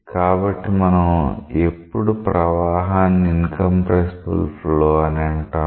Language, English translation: Telugu, So, when we say that a flow is incompressible